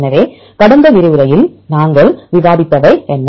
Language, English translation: Tamil, So, what we discussed in the last lecture